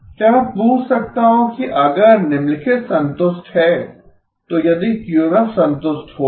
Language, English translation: Hindi, Can I ask if QMF will be satisfied if the following is satisfied